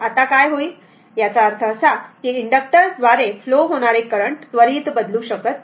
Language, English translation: Marathi, Now what will happen that your; that means, current through inductor cannot change instantaneously